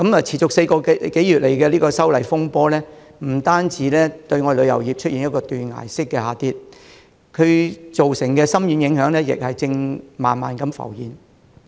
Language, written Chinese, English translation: Cantonese, 持續4個多月的修例風波，不但令旅遊業的業務出現斷崖式的下跌，更造成深遠影響。這些影響正慢慢地浮現。, Having continued for four - odd months the row arising from the legislative amendment exercise not only has caused a cliff - like drop of business in the tourism sector but has also left some profound repercussions which are gradually surfacing now